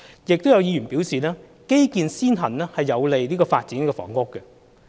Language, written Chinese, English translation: Cantonese, 亦有議員表示，基建先行有利發展房屋。, Some other Members said that prior availability of infrastructure would facilitate housing development